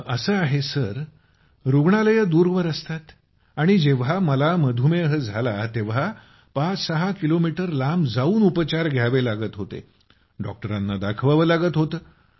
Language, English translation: Marathi, It is like this Sir, hospitals are far away and when I got diabetes, I had to travel 56 kms away to get treatment done…to consult on it